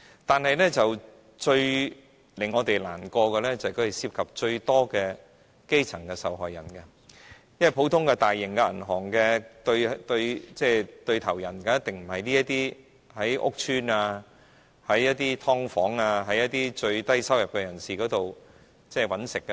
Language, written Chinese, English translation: Cantonese, 但是，最令我們難過的是它們涉及最多基層受害人，因為一般大型銀行的生意對象一定不是這些居住於屋邨、"劏房"、最低收入的人士。, However what saddens us the most is that the victims involved are mostly grass roots since those who live in public housing or subdivided units with the lowest income are not necessarily the business targets of sizable banks in general